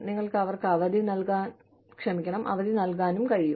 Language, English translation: Malayalam, You could also give them, leaves of absence